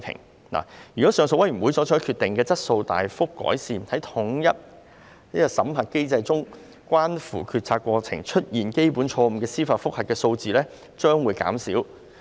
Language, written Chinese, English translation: Cantonese, 如果酷刑聲請上訴委員會所作決定的質素大幅改善，在統一審核機制中關乎決策過程出現基本錯誤的司法覆核數字將會減少。, If the quality of the TCAB decisions is much improved there would be less judicial review in relation to elementary errors in the decision - making process of USM